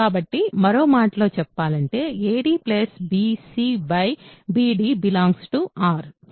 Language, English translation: Telugu, So, in other words ad plus bc by bd is in R right